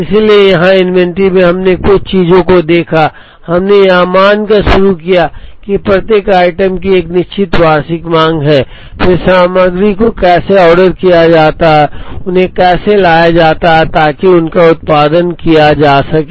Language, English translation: Hindi, So, here in inventory we saw couple of things, we started by assuming that each item has a certain annual demand and then how the material is ordered and how they are brought in so that, they can be produced